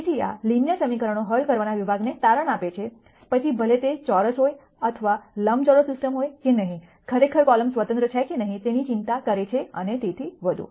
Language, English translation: Gujarati, So, this concludes the section on solving linear equations irrespective of whether it is a square or a rectangular system or not, worrying about really whether the columns are dependent independent and so on